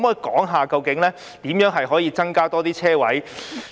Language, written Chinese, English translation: Cantonese, 可否說說究竟如何可以增加更多車位？, Can the Secretary tell us how more parking spaces can be provided?